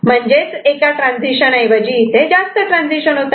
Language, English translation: Marathi, So, instead of one transition, it is making multiple transition